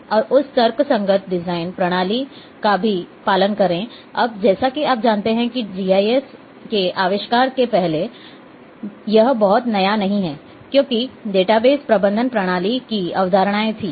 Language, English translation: Hindi, And also follow this logical design system, now there are as you know that this is not very new even before the invention of GIS the concepts of database management systems were there